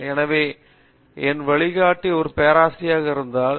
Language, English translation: Tamil, So, my guide was a Prof